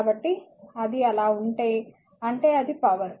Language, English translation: Telugu, So, if it is so; that means, it is power